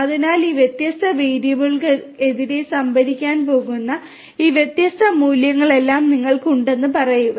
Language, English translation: Malayalam, So, dict then you have all these different values that are going to be stored against these different variables